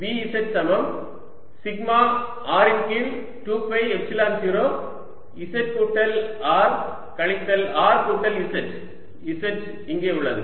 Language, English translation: Tamil, this answer is: v z is equal to sigma r over two, epsilon zero z plus r minus modulus z minus r